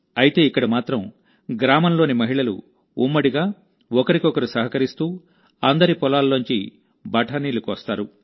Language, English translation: Telugu, But here, the women of the village gather, and together, pluck peas from each other's fields